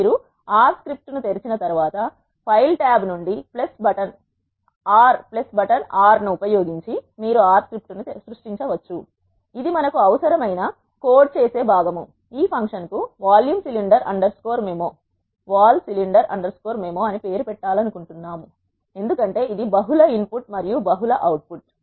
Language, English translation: Telugu, You can create an R script using a plus button R from the file tab once you have opened R script this is the piece of code that does what we need we want to name the function as vol cylinder underscore MIMO because it is a multiple input and multiple output